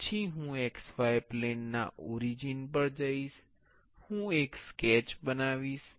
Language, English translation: Gujarati, Then I will go to the origin of the x y plane, I will create a sketch